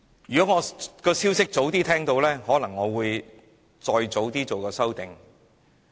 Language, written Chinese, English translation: Cantonese, 如果我早些聽到這消息，可能會提出修正案。, If I had heard the news earlier I would have put forward an amendment to cut the salaries of the Secretary